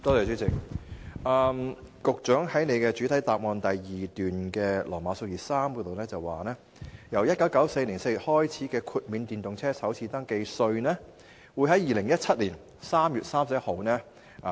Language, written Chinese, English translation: Cantonese, 主席，局長在主體答覆第二部分第段提到，自1994年4月開始豁免電動車的首次登記稅，這項安排會維持至2017年3月31日。, President in paragraph iii of part 2 of the main reply the Secretary said that the first registration tax for EVs has been waived since April 1994 and this waiver will be valid until 31 March 2017